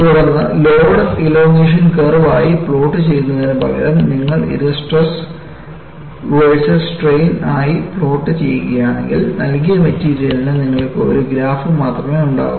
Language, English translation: Malayalam, Then, instead of plotting as load elongation curve, if you plot it as stress versus strain, you will have just one graph for a given material